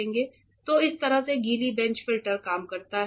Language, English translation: Hindi, So, this is how the filter the wet bench works